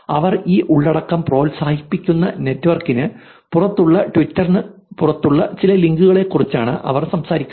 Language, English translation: Malayalam, Of course, they are basically talking about some business, talking about some links that are outside twitter, outside the network that they are promoting this content